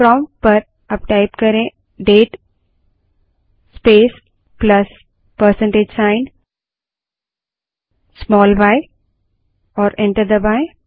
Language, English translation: Hindi, Type at the prompt date space +% small y and press enter